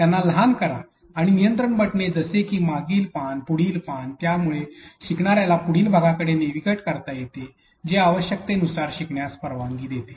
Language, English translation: Marathi, Make them shorter, but again control buttons such as previous page, the next page, that allows the learner to be put navigate or move to the next piece of a video that allows the process of learning go as it is requires